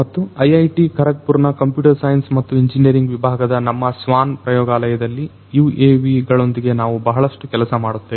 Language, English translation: Kannada, And so, in our lab the swan lab in the Department of Computer Science and Engineering at IIT Kharagpur, we work a lot with UAVs